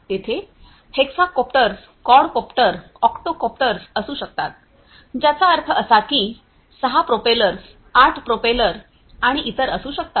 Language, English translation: Marathi, So, there could be you know hexacopters, quadcopter you know octocopters which means that there could be 6 propellers, 8 propellers and so on